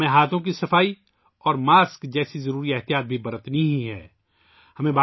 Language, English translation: Urdu, We also have to take necessary precautions like hand hygiene and masks